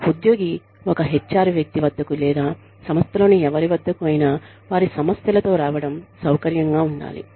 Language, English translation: Telugu, Employee should feel comfortable, coming to an HR person with their, or to somebody in the organization, with their concerns